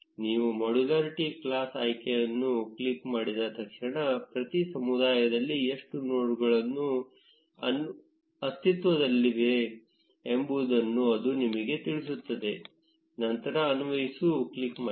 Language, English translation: Kannada, As soon as you click the modularity class option, it will tell you how many nodes exist in each community, click on apply